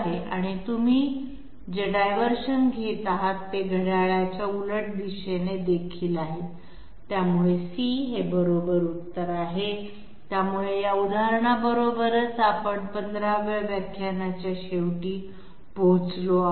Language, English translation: Marathi, And the and the diversion that you are taking that is counterclockwise as well, so C is correct okay so this brings us to the end of the 15th lecture thank you very much